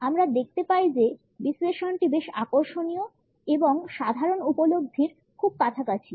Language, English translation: Bengali, We find that the analysis is pretty interesting and also very close to our common perceptions